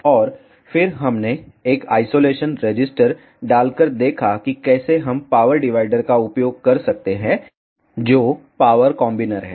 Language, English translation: Hindi, And then we saw by inserting a isolator how we can use the power divider is a power combiner